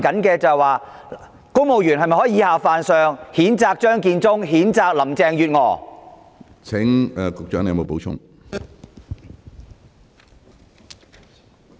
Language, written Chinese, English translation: Cantonese, 公務員是否可以以下犯上，譴責張建宗、譴責林鄭月娥？, Are civil servants allowed to offend their superiors and condemn Matthew CHEUNG and Carrie LAM?